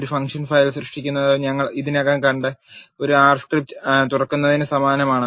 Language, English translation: Malayalam, Creating a function file is similar to opening an R script which we have already seen